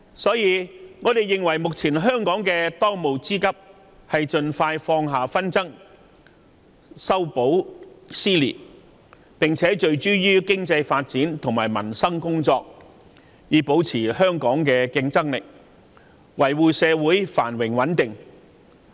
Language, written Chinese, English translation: Cantonese, 因此，我們認為，香港的當務之急是盡快放下紛爭，修補撕裂，並且聚焦於經濟發展及民生工作，以保持香港的競爭力，維護社會繁榮穩定。, The most pressing task right now is to reconcile and mend social dissension so that we can focus on economic development and livelihood issues to maintain our competitiveness social stability and economic prosperity